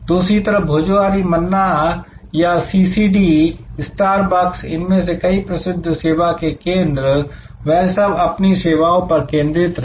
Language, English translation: Hindi, On the other hand, Bhojohori Manna or CCD, Starbucks, many of these famous service outlets, they are focussed of the services